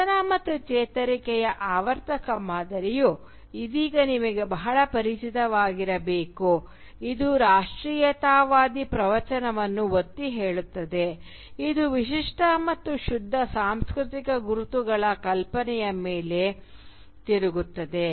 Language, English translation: Kannada, Indeed the cyclical pattern of fall and recovery, which should be very familiar to you by now, which underlines the nationalist discourse is pivoted on the notion of distinctive and pure cultural identities